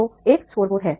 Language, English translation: Hindi, So, there is a scoreboard